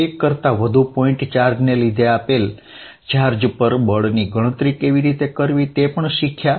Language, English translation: Gujarati, How calculate force on a given charge due to more than one point charge